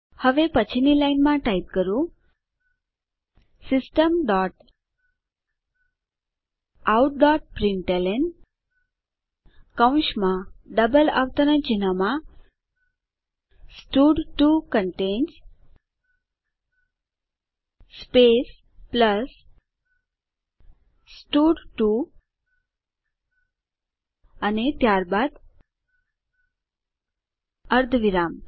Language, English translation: Gujarati, Now type next line System dot out dot println within brackets and double quotes stud2 contains space plus stud2 and then semicolon